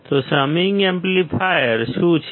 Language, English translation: Gujarati, So, what is the summing amplifier